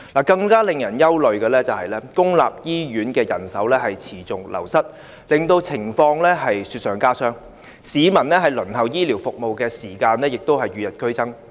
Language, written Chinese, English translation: Cantonese, 更令人憂慮的是，公營醫院的人手持續流失，令情況雪上加霜，市民輪候醫療服務的時間與日俱增。, A more worrying phenomenon is that there has been continual staff wastage in public hospitals . This makes the situation worse . People queuing for healthcare services have to wait longer